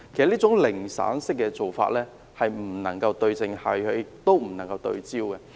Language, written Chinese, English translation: Cantonese, 這種"零散式"的做法不能對症下藥，亦不能夠對焦。, This fragmentary approach cannot focus on and address the problem